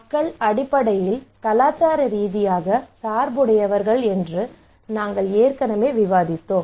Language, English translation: Tamil, So this is fine we discussed already that people are basically culturally biased